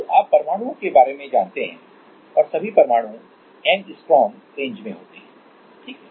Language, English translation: Hindi, So, you know about atoms and all atoms are in angstrom range, ok